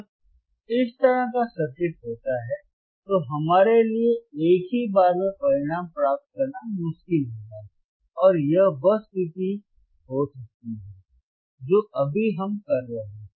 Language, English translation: Hindi, When this kind of circuit is there, it will be difficult for us to get the result in one go and it may be the condition which we are infinding right now which we are in right now right